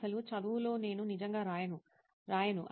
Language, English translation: Telugu, Actually in studying I do not really write, I do not